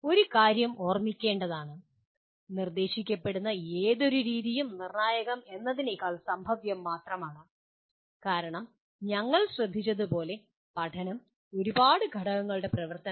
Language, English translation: Malayalam, One thing should be remembered, any method that is suggested is only probabilistic rather than deterministic because learning as we noted is a function of a large number of factors